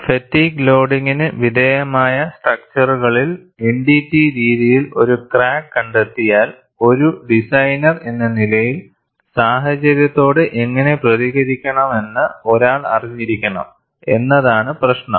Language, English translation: Malayalam, The issue is, in structures subjected to fatigue loading, if a crack is detected by NDT methods, as a designer one should know how to react to the situation